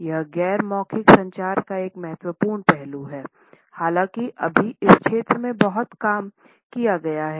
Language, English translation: Hindi, It is a vital aspect of non verbal communication though still not much work has been done in this area